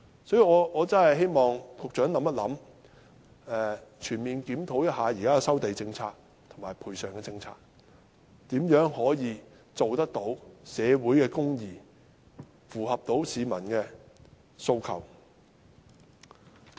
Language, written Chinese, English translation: Cantonese, 所以我真的希望局長能考慮一下，全面檢討現時的收地政策及賠償政策，看看如何能達致社會公義，符合市民的訴求。, For this reason I really hope the Secretary can consider conducting a comprehensive review of the existing land resumption and compensation policies and see how we can achieve social justice and meet the peoples aspirations